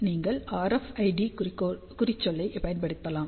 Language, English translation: Tamil, So, you might have use RFID tag